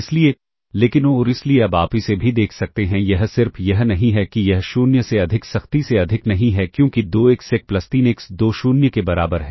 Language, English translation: Hindi, Hence, but and hence now, you can see this also, this not just this is not strictly greater than 0, because 2x1 plus 3x2 equal to 0, if x1 equals minus 3 over 2x2